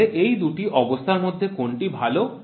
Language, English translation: Bengali, So, which of the two conditions are good